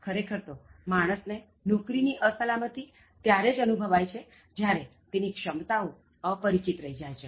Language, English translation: Gujarati, In fact, job insecurity is felt only when one’s real potentials are unrealized